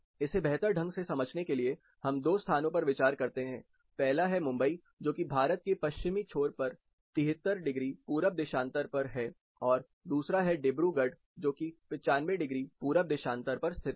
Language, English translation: Hindi, To understand this better, let us consider two locations, first is Mumbai which is 73 degrees east longitude on the western side of India, number two is Dibrugarh which is 95 degrees east longitude which is further east of India